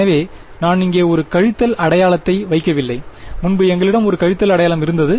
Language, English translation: Tamil, So, I have not put a minus sign over here previously we had a minus sign